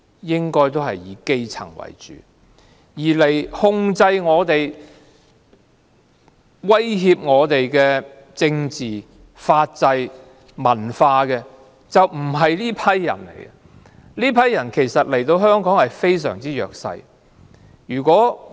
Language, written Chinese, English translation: Cantonese, 應該是以基層為主，而控制、威脅我們的政治、法制和文化的，並不是這些人，這些人其實都是弱勢人士。, These marriages mainly take place among the grass roots . They do not threaten our politics legal system and culture . They are actually vulnerable people